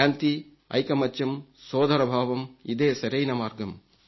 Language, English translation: Telugu, Peace, unity and brotherhood is the right way forward